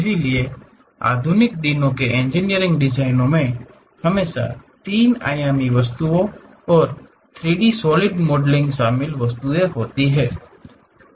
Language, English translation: Hindi, So, the modern days engineering designs always involves three dimensional objects and 3D solid modelling